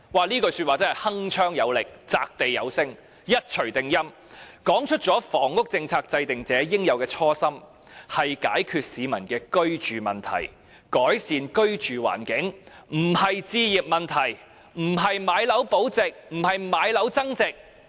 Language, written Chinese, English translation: Cantonese, 這句說話真是鏗鏘有力、擲地有聲、一錘定音，說出了房屋政策制訂者應有的初心，就是解決市民的居住問題、改善居住環境，不是置業問題、不是買樓保值、不是買樓增值。, This statement was most unequivocal and definitive pointing out the initial intention that a housing policy maker should be solving peoples housing problems and improving their living environment instead of handling home ownership issue or retaining and increasing asset values through property purchases